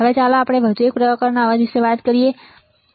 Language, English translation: Gujarati, Now, let us one more kind of noise which is your avalanche noise